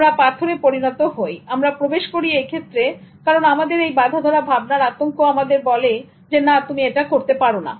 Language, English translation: Bengali, We turn into stones when we enter into that area because of the stereotype threat that tells us that no, you cannot do this